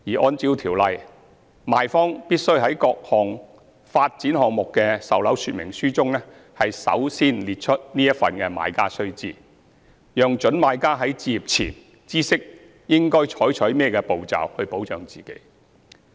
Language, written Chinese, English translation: Cantonese, 按照《條例》，賣方必須在各發展項目的售樓說明書中首先列出此份"買家須知"，讓各準買家在置業前知悉應該採取甚麼步驟保障自己。, According to the Ordinance vendors are required to first set out the Notes to Purchasers in the sales brochures for developments so that prospective purchasers are aware of the steps to take for their own protection before deciding to purchase a residential property